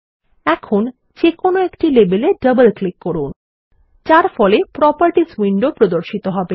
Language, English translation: Bengali, And now, we will double click on any label which in turn will open the Properties window